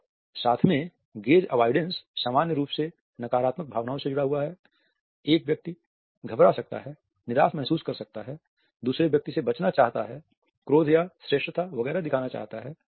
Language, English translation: Hindi, And all together gaze avoidance is normally associated with negative emotions, a person may be nervous may be feeling downcast wants to avoid the other person, wants to show the anger etcetera or the superiority